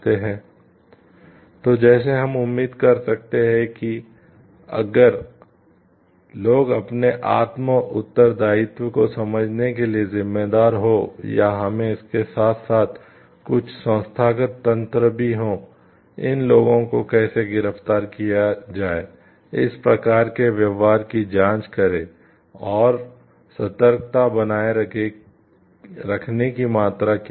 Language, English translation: Hindi, So, like can we expect every people to be responsible to understand their self responsibility or we need to have side by side also, some institutional mechanism very strong to understand how to arrest for these people check on this type of behavior and what are the degree of like vigilance to be maintained